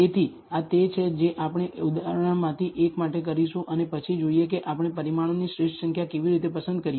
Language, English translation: Gujarati, So, this is what we are going to do for one of the examples and then see how we pick the optimal number of parameter